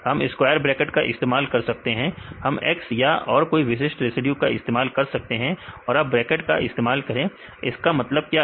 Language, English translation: Hindi, We can use a square bracket, we can use X right we can use any specific residue and you can use bracket what is the meaning of this